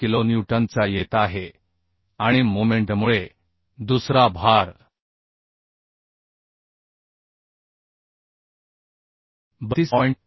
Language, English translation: Marathi, 75 kilonewton and another load due to moment is coming 32